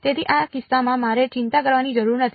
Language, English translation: Gujarati, So, in this case I do not have to worry about